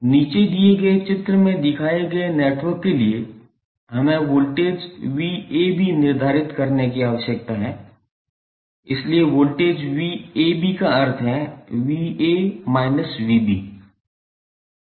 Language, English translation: Hindi, For the network shown in the figure below we need to determine the voltage V AB, so voltage V AB means V A minus V B